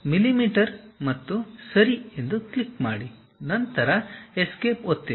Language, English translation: Kannada, So, millimeters and click Ok, then press Escape